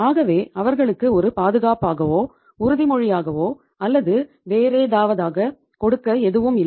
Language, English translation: Tamil, So they do not have anything to give as a as a security, as a say pledge or anything